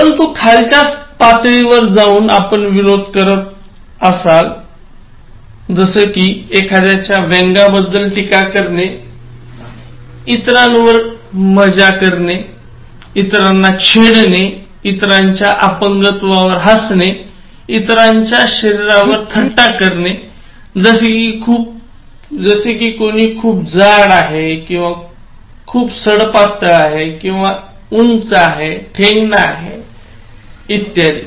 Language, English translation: Marathi, But at a lower level, again you can use humour, but that amounts to passing sarcastic remarks, poking fun on others, teasing others, laughing at others’ disability, joking on others’ physique, such as somebody is so fat or so thin or like in terms of becoming taller or shorter